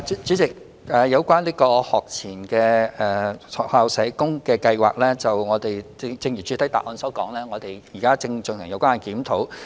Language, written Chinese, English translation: Cantonese, 主席，有關學前單位的駐校社工先導計劃，正如主體答覆所說，我們現正進行檢討。, President regarding the pilot scheme on SSW service for PPIs as stated in the main reply a study is now underway